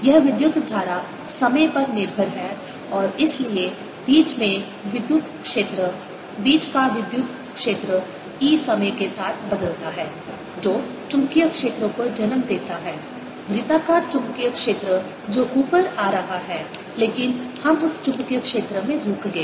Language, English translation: Hindi, this current is time dependent and therefore electric field in between, electric field in between e changes the time which gives rise to a magnetic field, circular magnetic field which is coming up